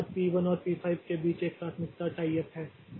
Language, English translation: Hindi, After that there is a tie of priority between P1 and P5